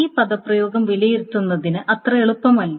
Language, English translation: Malayalam, So it is not very easy to evaluate this expression